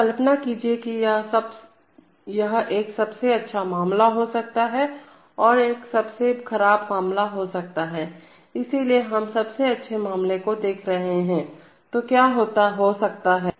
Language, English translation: Hindi, So imagine that, this is a, there could be a best case and there could be a worst case, so we are first looking at the best case, so what could happen is that